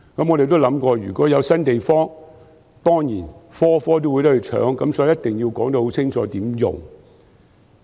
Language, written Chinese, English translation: Cantonese, 我也想過，如果有新地方，所有醫療專科當然也會爭奪，所以必須說清楚如何使用。, I have also thought that if there is some new space all specialist departments will surely fight for it . Hence how the space will be used has to be clearly stated